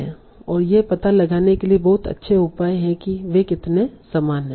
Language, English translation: Hindi, And these are very good measures for finding out how similar they are